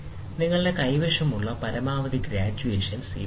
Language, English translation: Malayalam, These are the maximum graduations you have